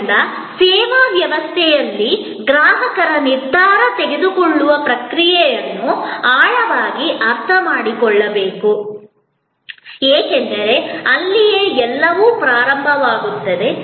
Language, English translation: Kannada, So, the process of decision making of a consumer in the service setting must be understood in depth, because that is where everything starts